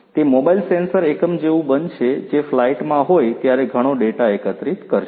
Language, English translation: Gujarati, It is going to be like a mobile sensor unit, which is going to collect lot of data while it is in flight